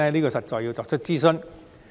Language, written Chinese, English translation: Cantonese, 這實在需要進行諮詢。, Consultation is indeed required